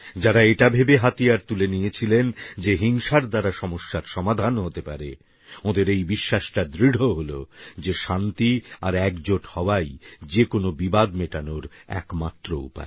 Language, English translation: Bengali, Those who had picked up weapons thinking that violence could solve problems, now firmly believe that the only way to solve any dispute is peace and togetherness